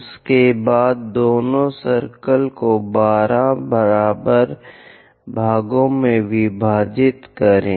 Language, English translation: Hindi, After that, divide both the circles into 12 equal parts